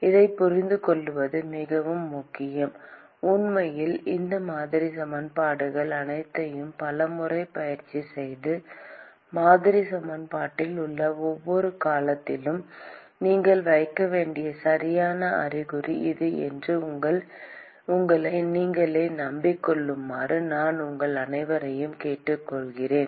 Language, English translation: Tamil, It is very important to understand this; and in fact, I would urge all of you to practice all these model equations as many number of times and convince yourself that this is the correct sign that you have to put at each and every term in the model equation